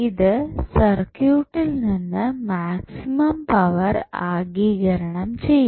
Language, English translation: Malayalam, So, the load which will absorb maximum power from the circuit